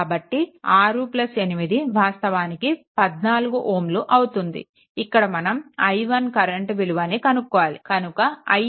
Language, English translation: Telugu, So, 6 plus 8 is actually 14 ohm, but any way you have to find out the current i 1